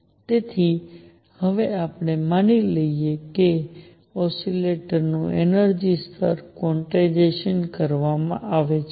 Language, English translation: Gujarati, So, from now on we assume that the energy levels of an oscillator are quantized